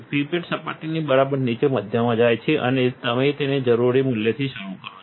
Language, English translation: Gujarati, The pipette goes in the middle just below the surface and you start up the amount that you need